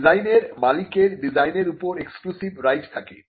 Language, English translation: Bengali, A design offers an exclusive right to the owner